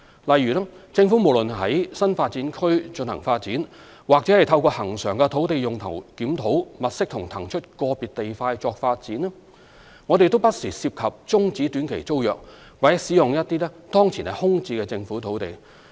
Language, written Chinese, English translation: Cantonese, 例如，政府無論於新發展區進行發展，或透過恆常的土地用途檢討物色及騰出個別地塊發展，均不時涉及終止短期租約或使用一些當前空置的政府土地。, For example when undertaking development projects in new development areas or identifying and vacating individual land lots for development through regular review on land use the Government has from time to time terminated short - term tenancies or put vacant government sites to use